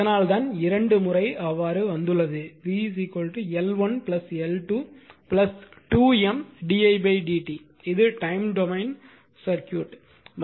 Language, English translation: Tamil, So, V is equal to L 1 plus L 2 plus M d i by d t this is the time domain circuit right